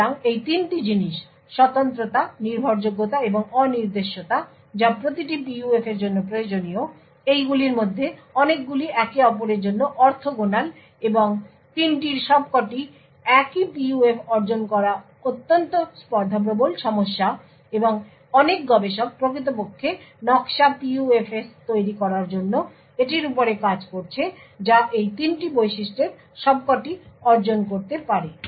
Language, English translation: Bengali, So, these are the 3 things the uniqueness, reliability, and the unpredictability that is required for every PUF, So, many of these things are orthogonal to each other and achieving all 3 and the same PUF is extremely challenging problem and a lot of researchers are actually working on this to actually create design PUFs which could achieve all of these 3 features